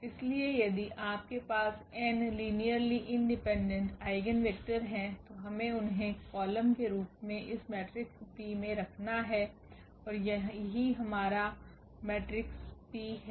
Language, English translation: Hindi, So, if you have n linearly independent eigenvectors, we will just place them in this matrix P as the columns, and this is our matrix this P